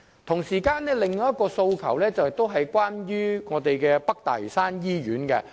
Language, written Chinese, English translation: Cantonese, 同時，我們還有另一個訴求，與北大嶼山醫院有關。, Meanwhile we would also like to make another request concerning the North Lantau Hospital